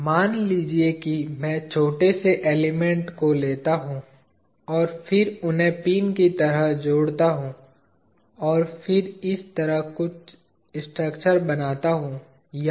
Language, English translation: Hindi, Supposing I take small state elements, and then join them like pins, and then form some structure like this